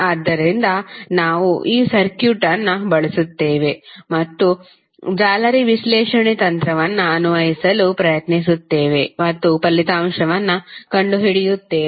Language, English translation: Kannada, So, we will use this circuit and try to apply the mesh analysis technique and find out the result